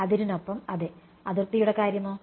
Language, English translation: Malayalam, With the boundary yeah, what about the boundary